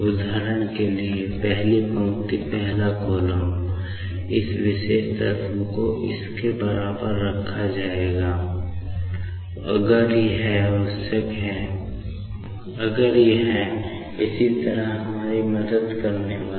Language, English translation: Hindi, For example, first row first column, this particular element will be put equal to this, if it is required, if it is going to help us similarly